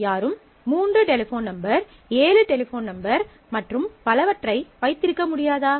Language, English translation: Tamil, Cannot anybody have 3 phone numbers, 7 phone numbers and so on